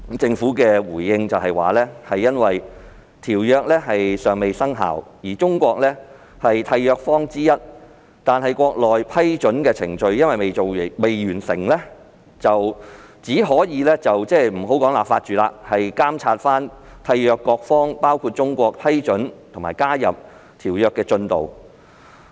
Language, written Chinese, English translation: Cantonese, 政府當時回應指《馬拉喀什條約》尚未生效，而中國是締約方之一，但國內未完成批准程序，因此不能立法，只能監察締約各方批准和加入條約的進度。, The response of the Government back then was that the Marrakesh Treaty had not taken effect and although China was a contracting party it had yet to complete the ratification process . Therefore no legislation could be enacted and we could only monitor the progress of ratification and accession of the contracting parties including China